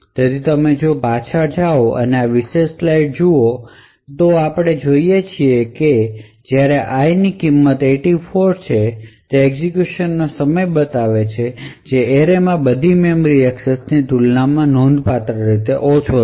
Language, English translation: Gujarati, So if you go back and look at this particular slide what we see is that when i has a value of 84 it shows a execution time which is considerably lower compared to all other memory accesses to that array